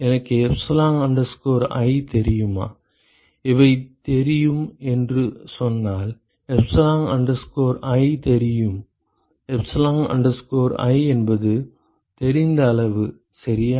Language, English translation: Tamil, Do I know epsilon i, if I say the these are known then I know epsilon i, epsilon i is a known quantity ok